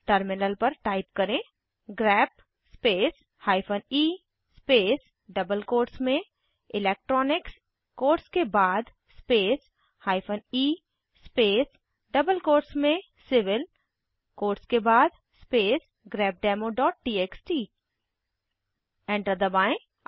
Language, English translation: Hindi, We need to type on the terminal: grep space hyphen e space within double quotes electronics after the quotes space hyphen e space in double quotes civil after the quotes space grepdemo.txt Press Enter